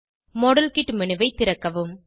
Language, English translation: Tamil, Open the model kit menu